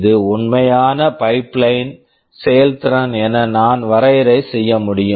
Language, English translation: Tamil, This I can define as the actual pipeline efficiency